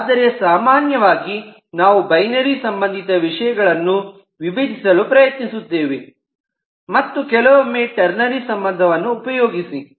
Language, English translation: Kannada, so normally we will try to decompose everything in terms binary relation and at times use ternary relation